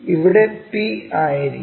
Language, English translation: Malayalam, Let us begin with a point P